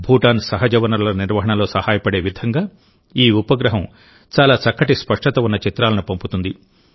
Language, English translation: Telugu, This satellite will send pictures of very good resolution which will help Bhutan in the management of its natural resources